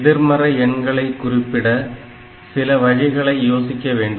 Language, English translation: Tamil, So, we did not consider the negative numbers